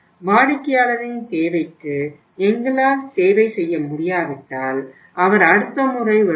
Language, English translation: Tamil, If we are not able to serve the customer’s need he will come next time